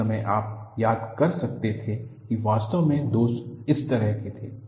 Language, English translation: Hindi, At that time you could recall, indeed, the flaws were like this